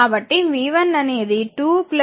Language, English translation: Telugu, So, v 1 will be 2 plus 2